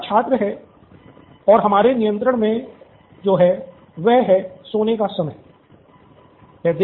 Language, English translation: Hindi, Here is the student and what we have in our control is the hour of going to sleep